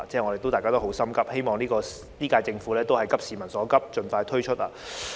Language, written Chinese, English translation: Cantonese, 我希望本屆政府能夠急市民所急，盡快推出報告。, I hope that the current - term Government will address the pressing needs of the people and release the report as soon as possible